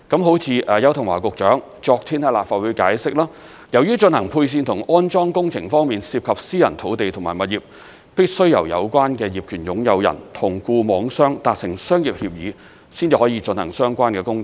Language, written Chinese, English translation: Cantonese, 正如邱騰華局長昨天在立法會解釋，由於進行配線和安裝工程方面涉及私人土地及物業，必須由有關的業權擁有人與固網商達成商業協議，才可進行相關的工程。, As Secretary Edward YAU explained in the Legislative Council yesterday since the wiring and installation works will involve private land and properties fixed network operators can only proceed with the works when the relevant owners have reached a commercial agreement with them